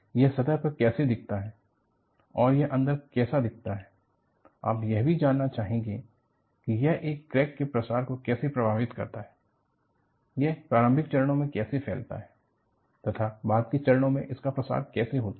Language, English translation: Hindi, How does it look at the surface, how does it look at the interior and you will also like to know, how does it affect the propagation of crack, how does it propagate at initial stages, how does it propagate at the later stages